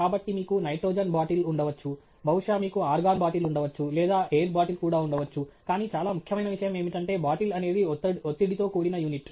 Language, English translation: Telugu, So, maybe you have a nitrogen bottle maybe you have argon bottle or maybe even an air bottle, but most important thing is the bottle is a pressurized unit